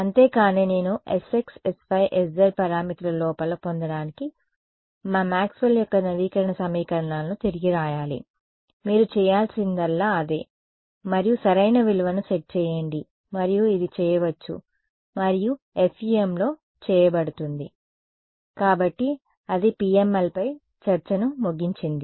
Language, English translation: Telugu, That is that is it, but I have to rewrite my Maxwell’s update equations to get that s x s y s z parameters inside that is all you have to do and then set the correct value and this can be done and is done in FEM